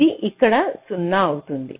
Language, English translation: Telugu, it will become zero here